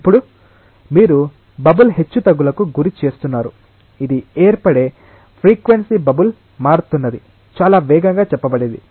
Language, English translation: Telugu, Now, you are making the bubble to fluctuate it s frequency of formation that is the bubble is changing it is state very fast